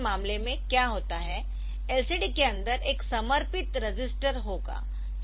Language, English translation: Hindi, So, that is the problem in case of LCD what happens is that there will be dedicated register inside the LCD